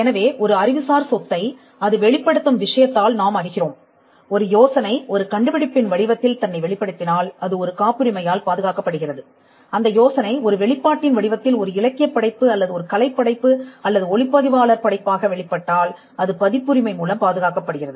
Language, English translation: Tamil, If an idea manifests itself in the form of an invention then that is protected by a patent, if the idea manifest itself in the form of an expression a literary work or an artistic work or a cinematographic work then that is protected by a copyright